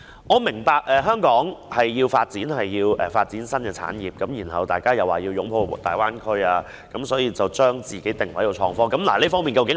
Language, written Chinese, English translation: Cantonese, 我明白香港需要發展新產業，大家又說要擁抱大灣區，於是便把自己定位在創科發展上。, I understand that Hong Kong needs to develop new industries and we also want to embrace the Guangdong - Hong Kong - Macao Greater Bay Area